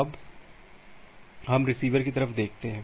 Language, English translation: Hindi, Now, let us look in to the receiver side